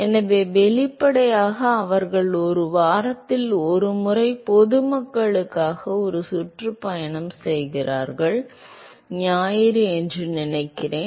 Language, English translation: Tamil, So, apparently, they have a tour for open for public one time in a week; I think Sundays